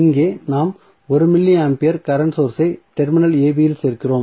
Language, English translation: Tamil, So, here what we are going to do we are adding 1 milli ampere of current source across the terminal AB